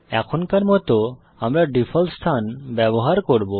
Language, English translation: Bengali, For now well use the default location